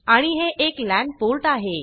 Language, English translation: Marathi, And this is a LAN port